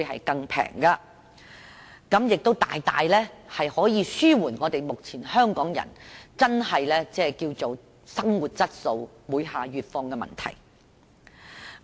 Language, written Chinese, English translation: Cantonese, 我相信可以大大紓緩目前香港人生活質素每況愈下的問題。, I think this can greatly alleviate the existing problem of a deteriorating living quality faced by Hong Kong people